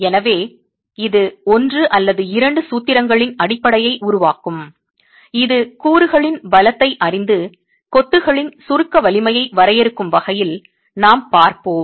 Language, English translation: Tamil, So, this will form the basis of one or two formulations that we will look at in terms of defining the compressive strength of masonry knowing the strength of the constituents